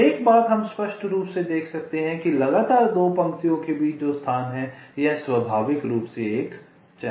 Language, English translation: Hindi, now, one thing: we can obviously see that the space that is there in between two consecutive rows this is naturally a channel